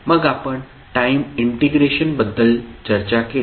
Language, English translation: Marathi, Then, we discussed about the time integration